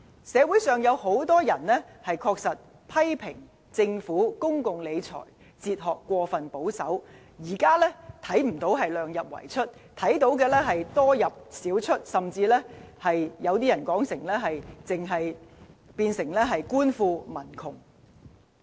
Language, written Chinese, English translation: Cantonese, 社會上確實有很多人批評政府公共理財哲學過分保守，看不到"量入為出"，只看到"多入少出"，甚至有人認為是"官富民窮"。, Actually many in society criticize the Government for its excessive prudence in public finance . They see not the principle of keeping expenditure within the limits of revenues at present but substantial revenues and minor expenditure or even rich government and poor people